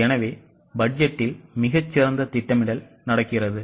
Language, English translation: Tamil, So, much better planning happens in budget